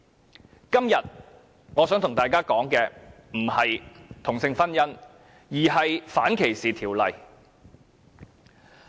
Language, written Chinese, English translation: Cantonese, 我今天並非想與大家談同性婚姻，而是想說一說反歧視條例。, What I want to talk about today is not same - sex marriage but anti - discrimination legislation though